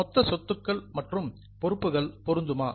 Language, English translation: Tamil, Is it possible that the total of assets and liabilities will match